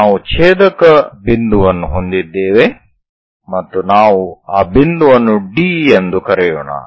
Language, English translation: Kannada, So, that we have an intersection point let us call that point as D